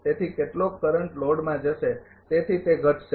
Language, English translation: Gujarati, Therefore, some current will go to the load therefore, it will decrease